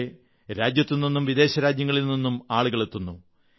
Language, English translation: Malayalam, People arrive there from the country and abroad